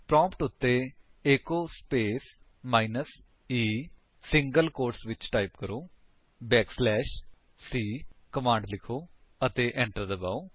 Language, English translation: Punjabi, Type at the prompt: echo space minus e within single quote Enter a command back slash c (\c) and press Enter